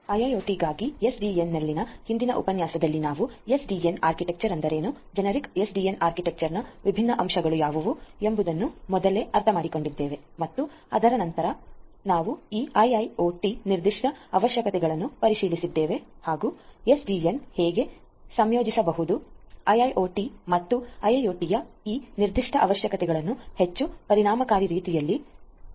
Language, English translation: Kannada, In the previous lecture on SDN for IIoT we looked at 2 things, first of all we understood what is the SDN architecture, what are the different components of a generic SDN architecture and there we thereafter we looked into this IIoT specific requirements and how SDN can integrate with a IIoT and catering to these particular requirements of IIoT in a much more efficient manner